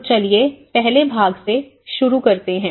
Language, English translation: Hindi, So let’s start with the part one